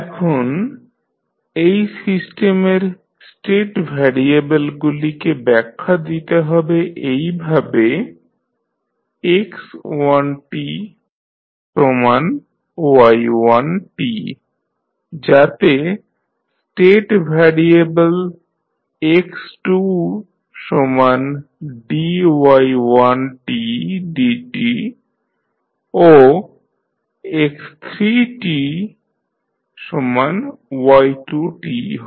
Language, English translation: Bengali, Now, let us define the state variables in the system as x1 is equal to y1, so that is one state variable, x2 is dy1 by dt and x3 is y2